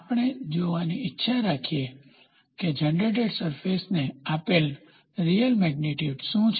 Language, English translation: Gujarati, We would like to see what is the real magnitude value given to the generated surface